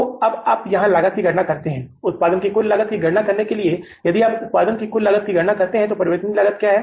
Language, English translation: Hindi, To calculate the total cost of production, if you calculate the total cost of production, what is the variable cost